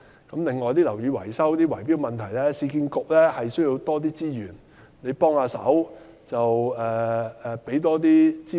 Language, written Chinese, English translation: Cantonese, 此外，就樓宇維修等圍標問題，市區重建局需要多些資源，盼望黃局長能多給予支援。, In addition regarding the bid - rigging problems concerning the maintenance of buildings the Urban Renewal Authority URA needs more resources and I thus hope that Secretary WONG can provide URA with more support